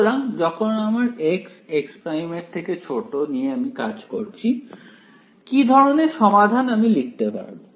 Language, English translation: Bengali, So, when I consider x not x is less than x prime what kind of solution can I write